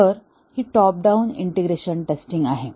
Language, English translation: Marathi, So this is the top down integration testing